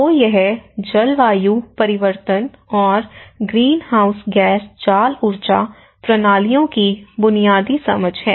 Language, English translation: Hindi, So, this is the basic understanding of climate change and the greenhouse gas trap energy systems